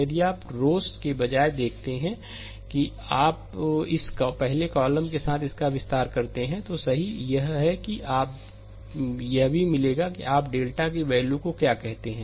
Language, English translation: Hindi, If you see that rather than your, rather than rows if you expand this along this first column, right that also will that also will get that your what you call the value of delta